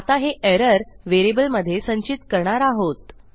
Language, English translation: Marathi, Let me just save this to a variable